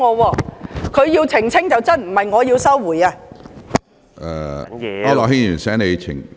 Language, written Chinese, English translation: Cantonese, 是他要澄清才對，並非我要收回言論。, He is the one who has to clarify instead of asking me to withdraw my remarks